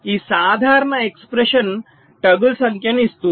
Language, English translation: Telugu, so this simple, this expression gives the number of toggle